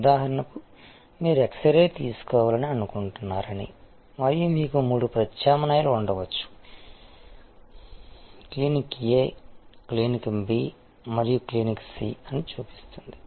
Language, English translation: Telugu, 6 and that shows that for say for example, you want an x ray taken and there can be three alternatives to you, Clinic A, Clinic B and Clinic C